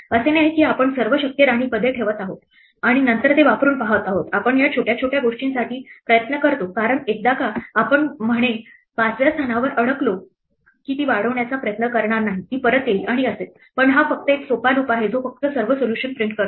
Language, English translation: Marathi, It is not like we are putting all possible queen positions and then trying it out we are trying it out for smaller things, because once we get stuck at say position 5 then it would not try to extend this it will come back and so on, but this is just a much simpler loop which just prints all solutions